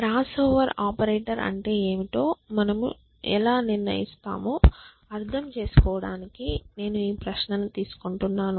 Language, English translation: Telugu, Sure, so I will take your question to mean how do you decide what is the crossover operator essentially